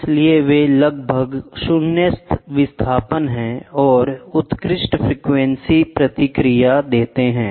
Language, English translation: Hindi, So, that they are almost 0 displacement and have excellent frequency response